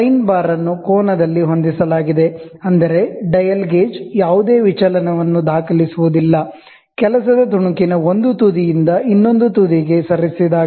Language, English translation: Kannada, The sine bar is set at an angle, such that the dial gauge registers no deviation, when moved from one end of the work piece to the other end